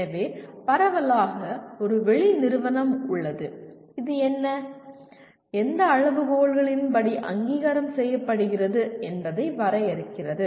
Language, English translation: Tamil, So, broadly there is an external agency which defines what is the, what are the criteria according to which the accreditation is performed